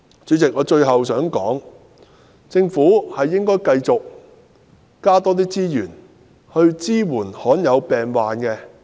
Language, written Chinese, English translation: Cantonese, 主席，我最後想說的是，政府應該繼續增加資源，支援罕見病患者。, President lastly I would like to urge the Government to continue to deploy additional resources to support patients suffering from rare diseases